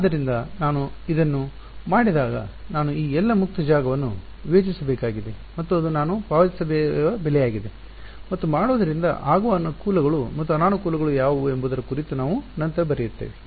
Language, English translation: Kannada, So, when I do this I have I have to discretize all of this free space region and that is a price I pay and we will come later on what are the advantages and disadvantages of doing